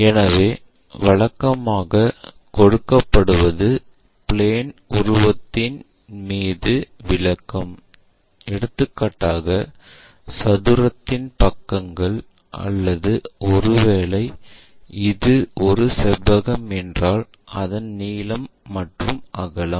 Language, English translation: Tamil, So, usually what is given is description over the plane figure is something like a square of so and so side or perhaps a rectangle of length this and breadth that